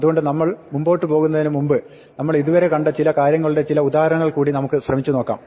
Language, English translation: Malayalam, So, before we go ahead let us try and look at some examples of all these things that we have seen so far